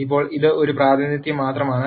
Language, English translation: Malayalam, Now, this is just one representation